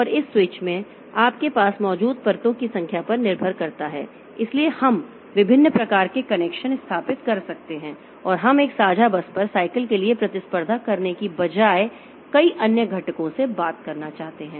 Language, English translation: Hindi, And depending upon the number of layers that you have in this switch, so we can establish different types of connections and we want to talk to other components concurrently rather than competing for cycles on a shared bus